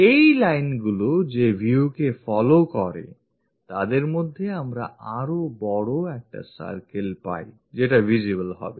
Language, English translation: Bengali, So, the view followed by these lines, in between that we get a bigger circle which will be visible